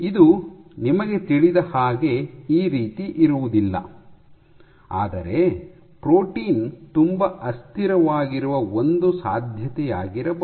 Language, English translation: Kannada, Then you know that this is not the case, but this is this might be one possibility that the protein is very unstable